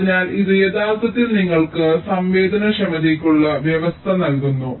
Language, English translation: Malayalam, so this actually gives you the condition for sensitibility